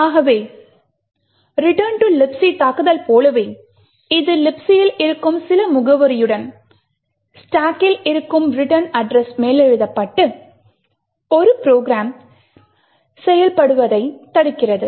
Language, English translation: Tamil, So just like the return to libc attack it subverts execution of a program by overwriting the return address present in the stack with some address present in libc